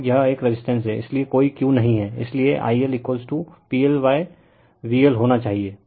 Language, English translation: Hindi, And it is a resistive, so no Q, so I L should be is equal to P L upon V L